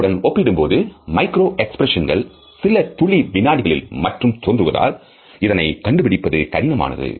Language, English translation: Tamil, In comparison to that micro expressions occur in a fraction of a second and therefore, the detection is difficult